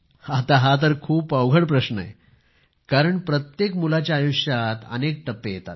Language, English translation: Marathi, Now this is a very difficult question because every child goes through multiple phases in life